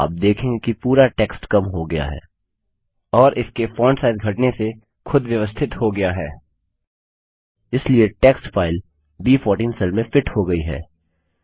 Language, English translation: Hindi, You see that the entire text shrinks and adjusts itself by decreasing its font size so that the text fits into the cell referenced as B14